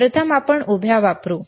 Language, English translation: Marathi, First let you let us use a vertical